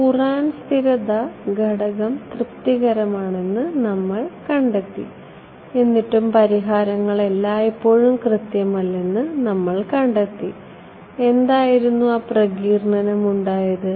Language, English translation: Malayalam, We assumed Courant stability factor is being satisfied, still we found that solutions were not always accurate, what was that dispersion right